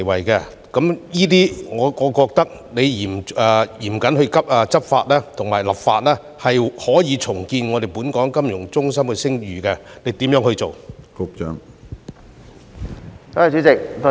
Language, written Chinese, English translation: Cantonese, 就此，我認為只要嚴謹立法和執法，便可以重建本港金融中心的聲譽，局長會如何做呢？, In this connection I think with stringent legislation and enforcement we can rebuild the reputation of Hong Kong as a financial centre . What is the Secretary going to do?